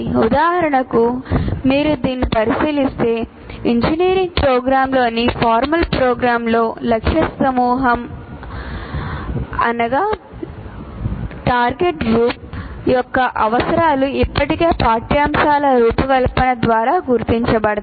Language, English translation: Telugu, For example, if you look at this, the needs of the target group in a formal program like an engineering program, the needs of the target group are already identified by through the curriculum design